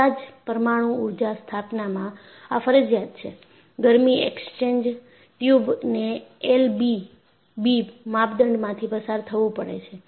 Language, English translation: Gujarati, In all nuclear power installations, it is mandatory; the heat exchanger tubes have to go through L V B criteria